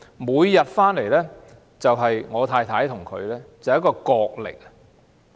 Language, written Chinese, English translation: Cantonese, 每天放學回家後，就和我太太展開角力。, After returning home from school every day he would have a struggle with my wife